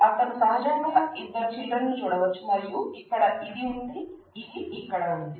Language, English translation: Telugu, He has naturally you can see that two children and there are this is here, this is here